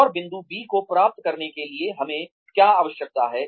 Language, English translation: Hindi, And, what do we need in order to get to point B